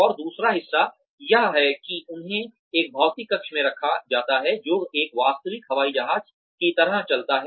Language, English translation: Hindi, And, the other part is that, they are put in a physical chamber, that moves, like a real aeroplane would move